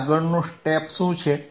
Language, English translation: Gujarati, Now, what is the next step